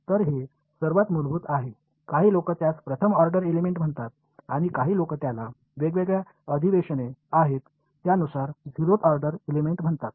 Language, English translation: Marathi, So, this is the most basic some people call it first order element some people call it zeroth order element depending they have different conventions